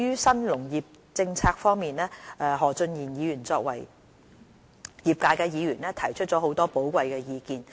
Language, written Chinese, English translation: Cantonese, 新農業政策方面，何俊賢議員作為業界議員，提出了很多寶貴意見。, As regards the New Agriculture Policy Mr Steven HO as a representative of the sector has made many valuable suggestions